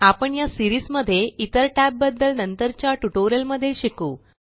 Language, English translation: Marathi, We will learn the other tabs in the later tutorials in this series